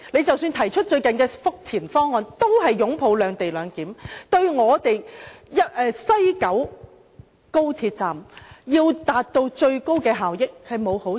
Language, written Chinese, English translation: Cantonese, 即使他們最近提出的福田方案，也是支持"兩地兩檢"，這做法對西九高鐵站達致最高效益並無好處。, Even the Futian option they put forth recently still follows a separate location mechanism . This option is not in any way beneficial to maximizing the efficiency of the West Kowloon Station of XRL